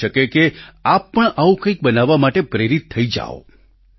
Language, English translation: Gujarati, It is possible that you too get inspired to make something like that